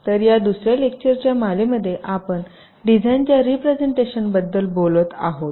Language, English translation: Marathi, so the topic of this lecture is design representation